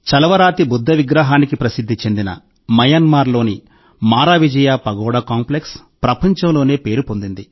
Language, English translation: Telugu, Myanmar’s Maravijaya Pagoda Complex, famous for its Marble Buddha Statue, is world famous